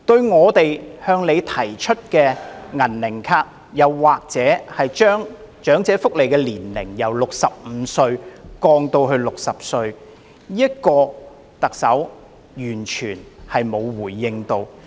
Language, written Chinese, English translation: Cantonese, 我們曾向她建議推出"銀齡卡"，以及將長者合資格申請福利的年齡從65歲降至60歲，但特首完全沒有回應。, Earlier on we advised her to introduce a semi - elderly card and lower the eligible age for elderly welfare benefits from 65 to 60 . Yet the Chief Executive did not respond to our suggestions at all